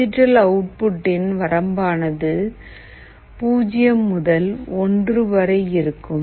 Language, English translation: Tamil, The maximum value the range of the digital output is 0 to 1